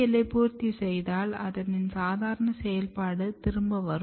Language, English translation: Tamil, But if you complement with the APL you can see again the normal function